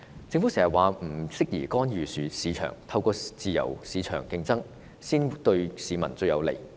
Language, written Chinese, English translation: Cantonese, 政府常說不適宜干預市場，自由市場競爭才是對市民最有利。, The Government always considers market intervention inappropriate stressing that only free market competition is most beneficial to the public